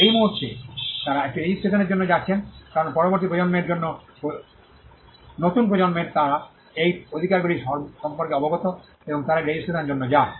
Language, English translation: Bengali, At that point they are going for a registration, because the next generation at the new generation they are aware of these rights and they go in for a registration